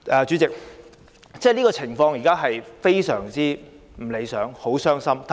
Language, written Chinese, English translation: Cantonese, 主席，現時的情況非常不理想，令人很傷心。, President the present situation is extremely undesirable and really saddens us